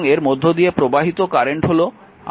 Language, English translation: Bengali, And outgoing currents are i 2 and i 3